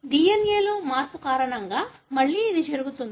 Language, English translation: Telugu, Again this happens because of change in the DNA